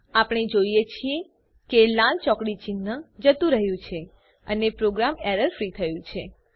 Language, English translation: Gujarati, We see that the red cross mark have gone and the program is error free